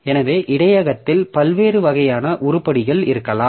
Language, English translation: Tamil, So, there can be different types of items in the buffer